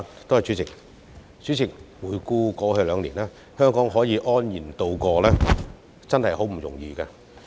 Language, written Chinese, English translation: Cantonese, 代理主席，回顧過去兩年，香港能安然度過，真的不易。, Looking back on the past two years Deputy President it is utterly not easy for Hong Kong to get through unscathed